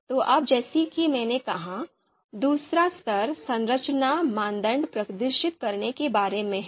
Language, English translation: Hindi, So now as I said, you know in the second level which is about you know displaying structuring criteria